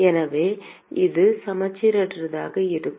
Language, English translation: Tamil, So, it will be non symmetric